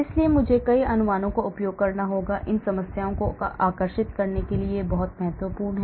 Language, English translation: Hindi, So I have to use many approximations this is very, very important to make these problems attractable